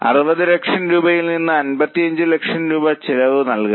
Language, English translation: Malayalam, From 60 lakhs they have to pay fixed cost of 55 lakhs